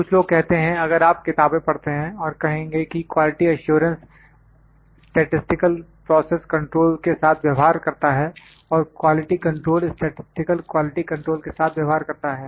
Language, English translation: Hindi, Some people would say that quality assurance deals with statistical process control and quality control deals with this one statistical quality control